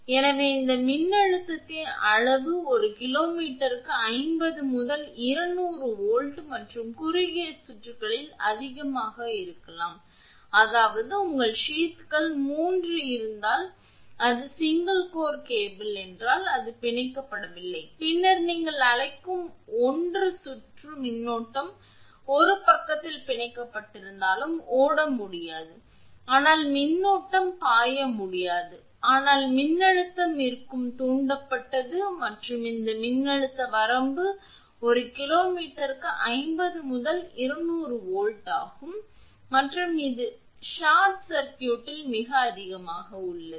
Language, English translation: Tamil, So, the magnitude of this voltage may be 50 to 200 volt per kilometer and much more at short circuits; that means, if 3 your sheaths are there if it is single core cable it is not bonded your then there will be your what you call circulating current cannot flow even if it is bonded at one side also circulating current cannot flow, but voltage will be induced and this voltage range is 50 to 200 volts per kilo meter and it is much higher at short circuit